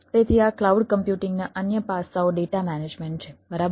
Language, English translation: Gujarati, so other aspects of these cloud computing: one is the data management right